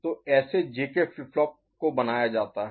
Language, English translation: Hindi, So, this is how the JK flip flop is made right